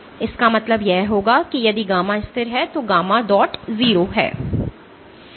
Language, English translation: Hindi, So, this would mean if gamma is constant then gamma dot is 0